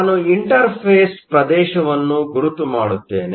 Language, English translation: Kannada, Let me mark the interface region